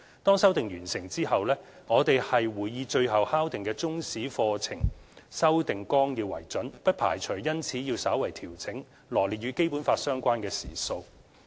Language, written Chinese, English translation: Cantonese, 當修訂完成後，我們會以最後敲定的中史課程修訂綱要為準，不排除因此要稍為調整羅列與《基本法》相關的時數。, Upon completion of the revision we will adopt the lesson hours set down by the finalized Chinese History subject curriculum . There is a possibility that fine - tuning of the lesson hours set out in SECG will be required accordingly